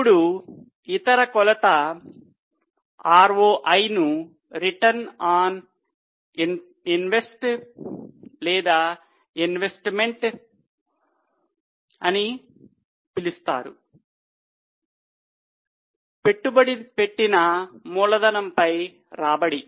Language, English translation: Telugu, Now the other major is ROI also known as return on invested or return on investment or return on invested capital